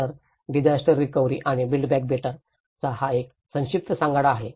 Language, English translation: Marathi, So, this is the brief skeleton of the disaster recovery and build back better